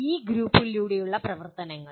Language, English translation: Malayalam, Activities through e groups